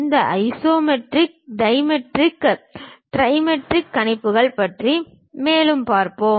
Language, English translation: Tamil, We will see more about these isometric, dimetric, trimetric projections later